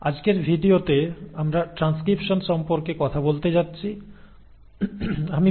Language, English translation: Bengali, In the next video we will talk about translation